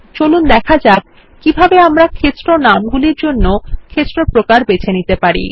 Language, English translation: Bengali, Let us see how we can choose Field Types for field names